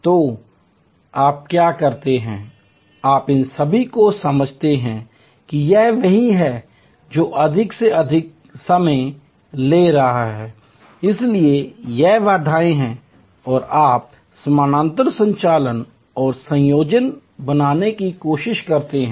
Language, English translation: Hindi, So, what you do is you look at all these understand that this is the one which is taking longest time therefore, this is the bottle neck and you try to create parallel operations and combinations